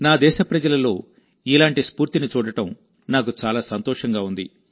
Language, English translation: Telugu, It gives me immense happiness to see this kind of spirit in my countrymen